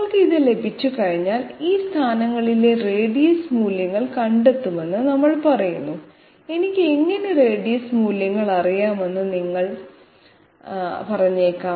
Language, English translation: Malayalam, Once we have this, we say that in that case we find out the radius values at these positions, you might say how do I know radius values